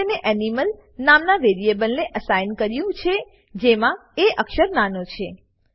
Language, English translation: Gujarati, I have assigned it to a variable called animal with lowercase a